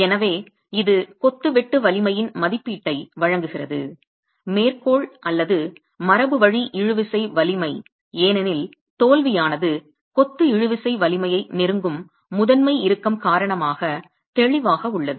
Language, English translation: Tamil, So, this provides an estimate of the sheer strength of masonry, the referential or the conventional tensile strength of masonry because the failure is clearly due to the principal tension approaching the tensile strength of masonry